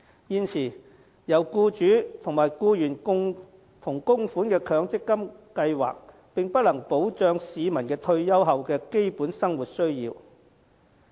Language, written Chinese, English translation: Cantonese, 現時，由僱主和僱員共同供款的強制性公積金計劃並不能保障市民退休後的基本生活需要。, At present the Mandatory Provident Fund MPF System with contributions from both employers and employees cannot provide people with a means of basic subsistence after retirement